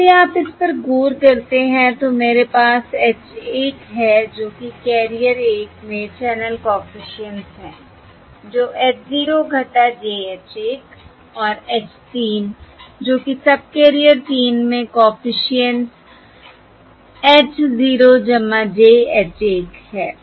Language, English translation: Hindi, all right, Now, if you look at this, I have H 1, capital H 1, that is the channel coefficient across carrier 1, equals h 0 minus j h 1, and capital H 3, that is the coefficient across subcarrier 3, equals h 0 plus j, h 1